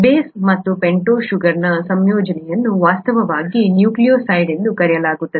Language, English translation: Kannada, The combination of the base and the pentose sugar is actually called a nucleoside